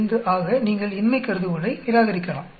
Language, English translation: Tamil, 895 so you reject the null hypothesis